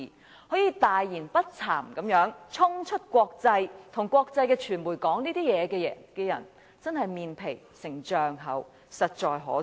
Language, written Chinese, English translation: Cantonese, 他竟可大言不慚地衝出國際，向國際傳媒說出這番話，這種人真的是"面皮成丈厚"，實在可耻。, He could even have bragged about it without feeling ashamed in the international arena in making such remarks to the international media . Such a thick - skinned person is really despicable